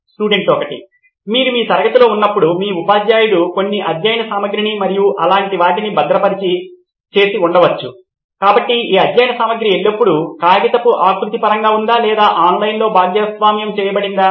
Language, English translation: Telugu, While you are in your classroom, your teacher might have saved some study materials and things like that, so was this study material always in terms of paper format or is it shared online